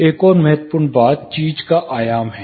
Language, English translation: Hindi, Another thing is the dimension of the thing itself